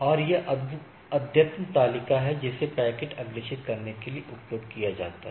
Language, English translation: Hindi, And this the updated table can be used for forwarding the packets